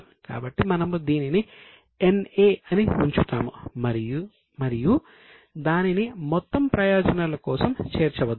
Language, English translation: Telugu, So, we will put it as NA and don't include it for the total purposes